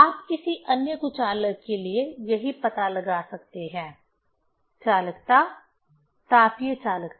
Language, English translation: Hindi, One can find out the same for other bad conductors: the conductivity, thermal conductivity